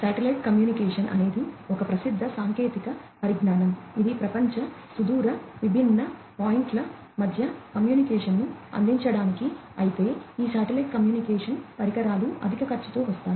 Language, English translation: Telugu, Satellite Communication is a well known technology, for offering global, long range, communication between different points, but these satellite communication devices come at higher cost